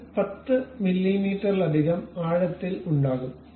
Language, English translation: Malayalam, And that will have a head of 10 mm into depth